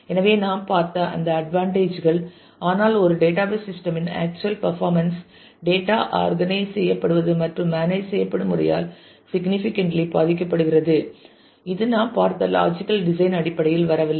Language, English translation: Tamil, So, those advantages we have saw, but the actual performance of a database system is significantly impacted by the way the physical data is organized and managed which does not come across in terms of the logical design that we have seen